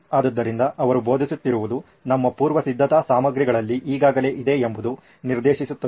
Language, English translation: Kannada, …so that it is direct that what she is teaching is already there in our preparatory material